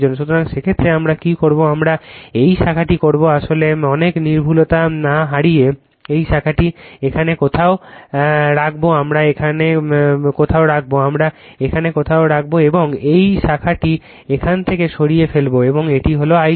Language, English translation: Bengali, So, in that case what we will do what we will do this branch actually without yourloosing much accuracy this branch will put somewhere here we will put somewhere here, right we will put somewhere here and this branch will remove from here and this will be my I 0